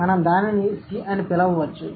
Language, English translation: Telugu, So, maybe we can call it C